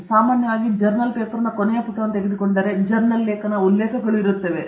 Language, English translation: Kannada, So, typically, if you take the last page of a journal paper, journal article, there will be references